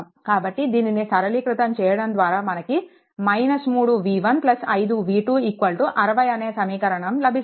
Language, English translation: Telugu, So, after simplification we will get this equations 3 v 1 minus v 3 is equal to 20